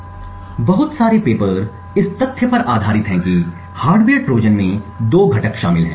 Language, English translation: Hindi, Now a lot of the paper is based on the fact that the hardware Trojan comprises of two components